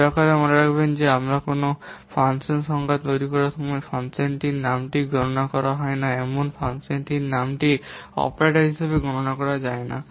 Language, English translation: Bengali, Please remember that the function name while we are making a function definition, the function name is not counted as an operator